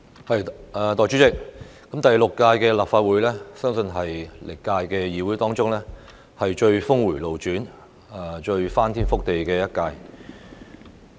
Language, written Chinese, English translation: Cantonese, 代理主席，第六屆立法會相信是歷來最峰迴路轉、最翻天覆地的一屆。, Deputy President the Sixth Legislative Council is believed to be the most earth - shattering one filled with the most unexpected twists in history